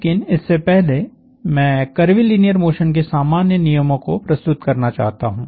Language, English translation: Hindi, But before that, I want to lay out the general rules for curvilinear motion